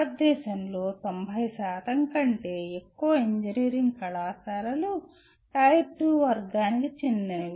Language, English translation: Telugu, More than 90% of engineering colleges in India belong to the Tier 2 category